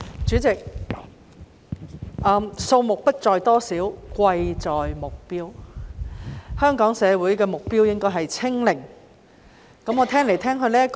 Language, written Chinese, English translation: Cantonese, 主席，數目不在乎多少，貴在目標，香港社會的目標應該是確診數字"清零"。, President what matters most is not the number but the objective . The objective of Hong Kong society should be returning to zero confirmed cases